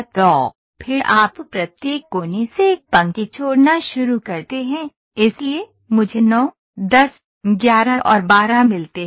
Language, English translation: Hindi, So, then what you do you draw start dropping a line from each vertices so I get 9, 10, 11 and 12 ok